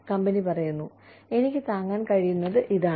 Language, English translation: Malayalam, That the company says, this is all, I can afford